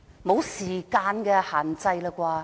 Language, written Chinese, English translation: Cantonese, 沒有時間限制了吧？, There is no time limit right?